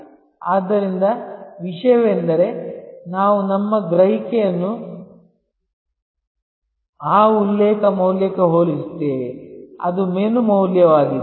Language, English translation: Kannada, So, the point is that, we then compare our perception with respect to that reference value, which is the menu value